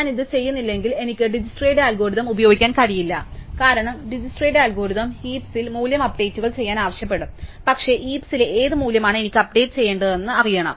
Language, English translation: Malayalam, And unless I do this, I cannot really use for Dijskstra's algorithm because DijskstraÕs algorithm will ask us to update value in the heap, but I need to know which value in the heap I need to update